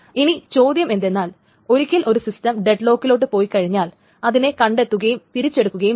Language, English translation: Malayalam, Now the question is once a system goes into dead lock, it must be detected and it must be recovered